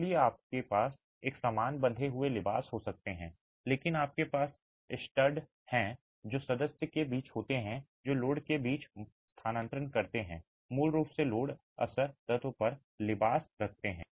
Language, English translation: Hindi, So you can have a similar tied veneering but you have studs now which are then part of the member that transfers load between, basically holds the veneer onto the load bearing element